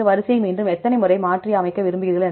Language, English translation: Tamil, How many times you want to jumble this sequence again right